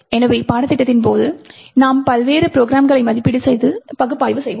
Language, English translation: Tamil, So, during the course we will be evaluating and analysing a lot of different programs